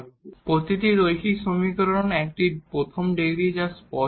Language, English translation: Bengali, So, every linear equation is a first degree that is clear